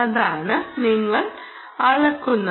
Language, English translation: Malayalam, thats what you are measuring